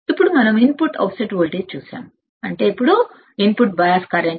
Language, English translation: Telugu, Now, let us see input offset current input offset current alright